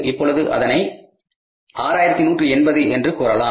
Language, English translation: Tamil, Now I would say here it is 6 180